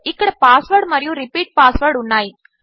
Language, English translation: Telugu, Here is the password and repeat password